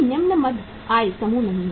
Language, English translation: Hindi, No lower middle income groups